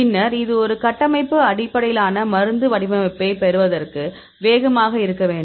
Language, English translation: Tamil, And then it should be fast to get this a structure based drug design